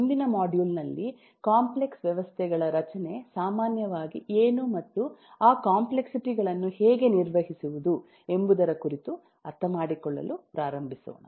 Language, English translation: Kannada, in the next module will come up and start understanding about what the structure of complex systems typically are and how to manage those complexities